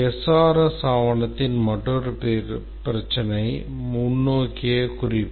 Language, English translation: Tamil, Another problem with the SRS document is forward reference